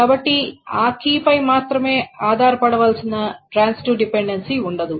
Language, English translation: Telugu, So that means there is no transitive dependency